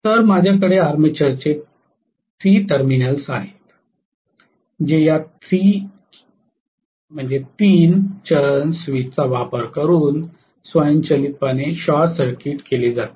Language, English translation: Marathi, So I have the 3 terminals of the armature, which will be short circuited automatically by using this 3 phase switch okay